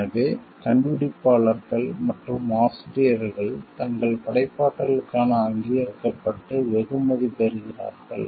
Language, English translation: Tamil, And that inventors and authors are therefore, recognized and rewarded for their creativity